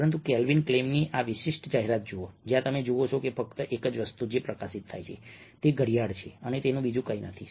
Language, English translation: Gujarati, but look at this particular advertisement where calvin klen, where you see that the only thing that is highlighted is a watch and nothing else